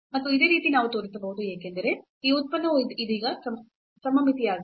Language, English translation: Kannada, And similarly we can show because this function is just now symmetric